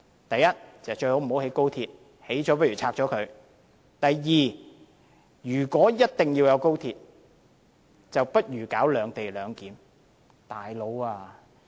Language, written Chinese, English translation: Cantonese, 第一，最好不要興建高鐵，即使興建了，也要拆掉；第二，如果一定要有高鐵，則不如實施"兩地兩檢"。, First Hong Kong should not build the XRL in the very first place and even if it has been built it must be scrapped . Second if it is absolutely necessary to build the XRL the separate - location model should always be preferred